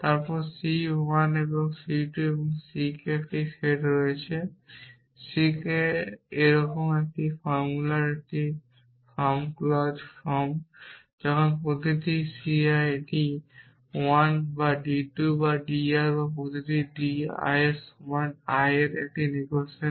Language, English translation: Bengali, Then there is a set of clauses c one and c 2 and c k such a form such a form of a formula is clause form when each c I is d one or d 2 or d r and each d I is equal to l I or negation of l I